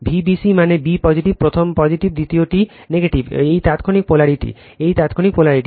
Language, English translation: Bengali, V b c means b positive 1st one is positive, 2nd one is negative right, this instantaneous polarity